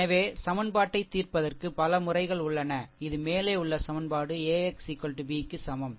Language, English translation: Tamil, So, there are several methods for solving equation your this above equation AX is equal to B